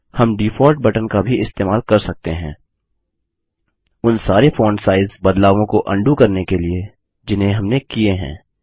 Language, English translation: Hindi, We can also use the Default button to undo all the font size changes we made